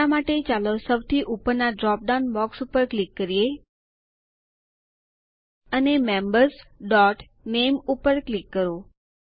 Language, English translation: Gujarati, For now, let us click on the top most drop down box, And click on Members.Name